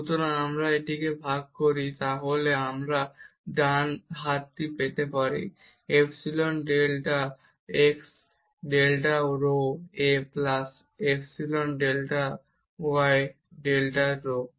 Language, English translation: Bengali, So, if we divide this, then we will get the right hand side as epsilon delta x over delta rho a plus epsilon delta y over delta rho term